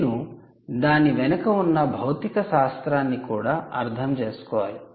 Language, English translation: Telugu, you must know the physics behind the process